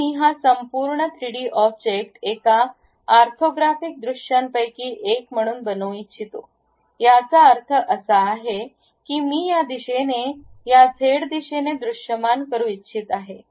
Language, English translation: Marathi, Now, I would like to visualize this entire 3D object as one of the orthographic view; that means, I would like to visualize in this direction, in this z direction